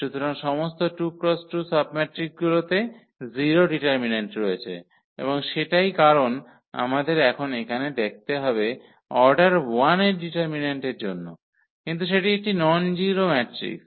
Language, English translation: Bengali, So, all 2 by 2 submatrices have 0 determinant and that is the reason here we now have to look for this determinant of order 1, but that is a nonzero matrix anyway